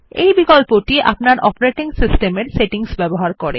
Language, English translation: Bengali, This option uses the settings configured for your operating system